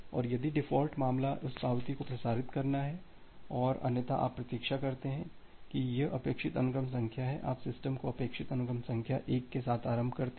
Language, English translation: Hindi, And if the default case is you transmit that acknowledgement and otherwise you just wait it is expected sequence number you initiate the system with expected sequence number 1